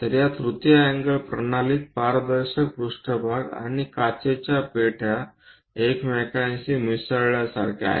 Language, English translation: Marathi, So, in this third angle system is more like transparent planes and glass boxes are intermingled with each other